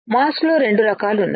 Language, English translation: Telugu, There are two types of mask which we have seen